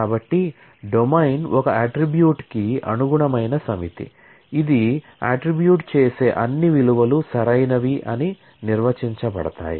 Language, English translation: Telugu, So, the domain is a set corresponding to an attribute, which define that all possible values that attribute can take ok